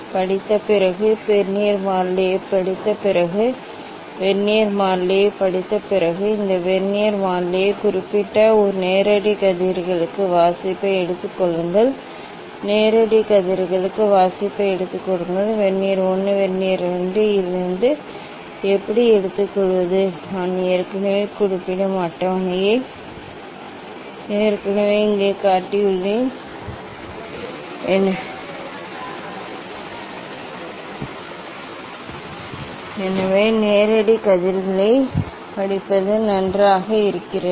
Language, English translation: Tamil, after reading the, after reading the Vernier constant, after reading the Vernier s constant, noting down these Vernier constant, take reading for the direct rays, take reading for the direct rays how to take from Vernier 1, Vernier 2; I have shown already the table just here I am mentioning, so reading for the direct rays fine